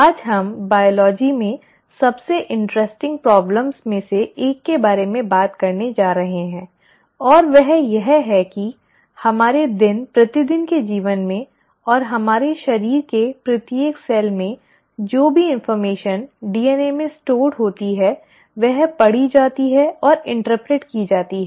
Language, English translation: Hindi, Today we are going to talk about one of the most interesting problems in biology and that is, how is it that in our day to day lives and in each and every cell of our body whatever information that is stored in the DNA is read and interpreted